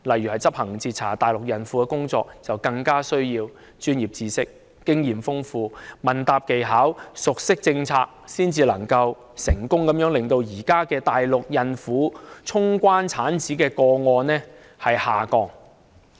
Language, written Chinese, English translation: Cantonese, 以執行截查大陸孕婦的工作為例，他們需要具備專業知識、豐富經驗、問答技巧及熟悉政策，這樣才可以成功令現時大陸孕婦衝關產子的個案下降。, Just take the task of intercepting pregnant Mainland women as an example . They need to be equipped with professional knowledge rich in experience skilful in questioning and well - versed with the policies . It is only in this way that they can successfully reduce the number of cases involving pregnant Mainland women gatecrashing into Hong Kong for delivery at present